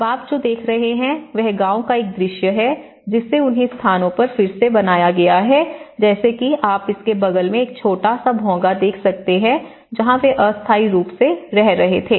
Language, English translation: Hindi, But now, what you are seeing is a view of the village which has been reconstructed at the same places like you can see a small Bhongas next to it where they were living temporarily